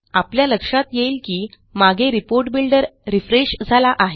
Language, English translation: Marathi, Notice that the background Report Builder has refreshed